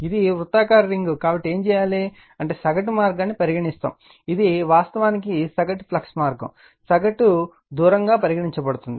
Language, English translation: Telugu, Now, this is a circular ring so, what we will do is we will take your what you call that you are mean path, this is actually mean flux path, we will take the mean distance right